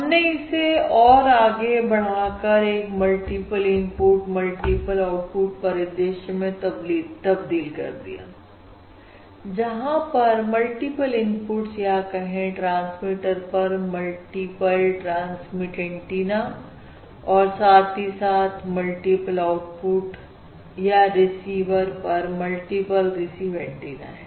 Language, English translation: Hindi, Now we are extended it to um very general Multiple Input, Multiple Output scenario where there are multiple inputs or multiple transmit antennas at the transmitter as well as the multiple outputs or multiple receive antennas at the receiver